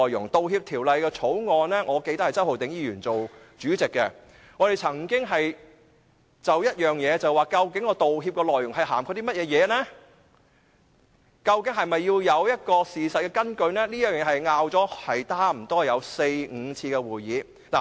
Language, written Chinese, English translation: Cantonese, 我記得《道歉條例草案》委員會是由周浩鼎議員擔任主席的，我們曾經就道歉內容的涵蓋範圍，以及是否需要有事實根據等，差不多用了四五次會議來爭論。, As I remember Mr Holden CHOW is the Chairman of the Bills Committee on Apology Bill and we have held four to five meetings to discuss about the coverage of the Apology Ordinance and whether factual evidence would be necessary